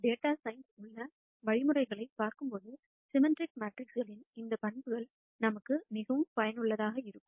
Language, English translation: Tamil, So, these properties of symmetric matrices are very useful for us when we look at algorithms in data science